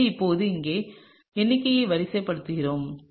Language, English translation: Tamil, So, now, let me sort of draw out the numbering over here